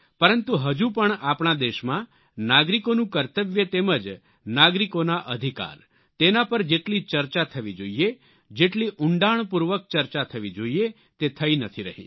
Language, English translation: Gujarati, But still in our country, the duties and rights of citizens are not being debated and discussed as intensively and extensively as it should be done